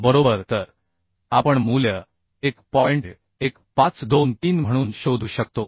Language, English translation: Marathi, 1523 right So we can find out the value as 1